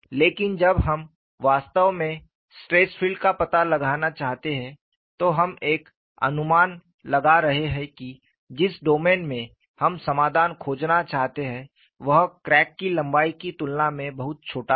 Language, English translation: Hindi, But when we actually want to find out the stress field, we are bringing in an approximation, the domain in which we want to find the solution, is much smaller compared to the crack line;, and we simplify,